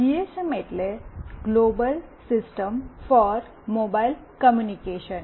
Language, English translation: Gujarati, GSM stands for Global System for Mobile Communication